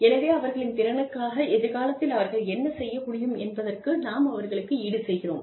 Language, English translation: Tamil, So, let me compensate them, for what they can do in future, for their ability